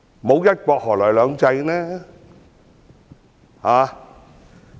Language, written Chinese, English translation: Cantonese, 沒有"一國"，何來"兩制"？, In the absence of one country how can two systems exist?